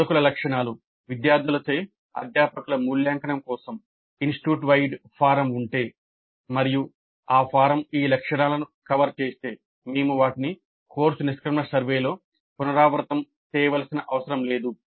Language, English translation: Telugu, Then instructor characteristics as I mentioned if there is an institute wide form for faculty evaluation by students and if that form covers these aspects then we don't have to repeat them in the course exit survey